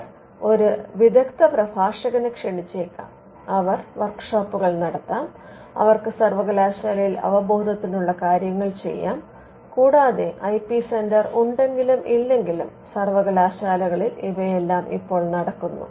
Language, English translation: Malayalam, They may invite an expert speaker, they may conduct workshops; they may have some kind of an awareness measure done in the university and all these things are right now being done in universities whether they have an IP centre or not